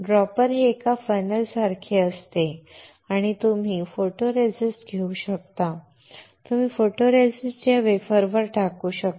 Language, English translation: Marathi, Dropper is like a fennel and you can take the photoresist and you can dispense the photoresist onto this wafer